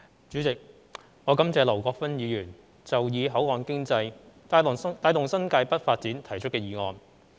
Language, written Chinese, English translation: Cantonese, 主席，我感謝劉國勳議員提出"以口岸經濟帶動新界北發展"的議案。, President I thank Mr LAU Kwok - fan for proposing the motion on Driving the development of New Territories North with port economy